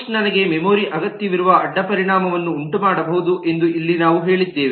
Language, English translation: Kannada, here we said that push may create a side effect that i need memory